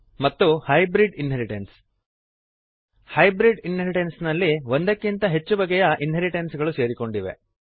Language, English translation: Kannada, and Hybrid inheritance In hybrid inheritance more than one form of inheritance is combined